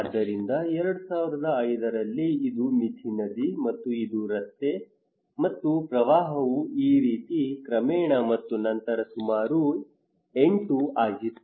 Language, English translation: Kannada, So in 2005 it was a Mithi river, and this is the road, and the flood came like this okay gradually and then it was around 8